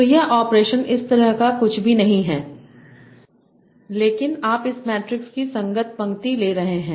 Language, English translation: Hindi, So this operation is nothing like, this nothing but you are taking the corresponding row of this matrix